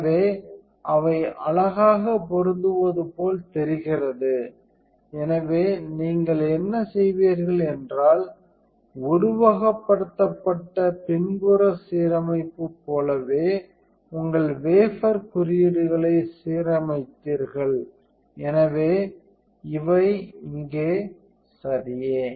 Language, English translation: Tamil, So, they look like it is pretty match stuff, so what would you do is you into the same thing as a simulated backside alignment you aligned marks on your wafer, so these right here